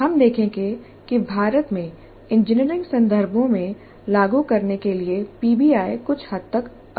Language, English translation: Hindi, We will see that the PBI is somewhat inefficient to implement in the engineering context in India